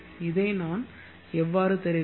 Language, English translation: Tamil, how does this work